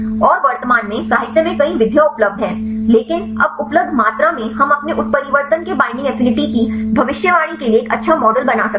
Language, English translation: Hindi, And currently there are several methods are available in the literature right, but now the available amount of data we can make a good model for predicting the binding affinity of our mutation right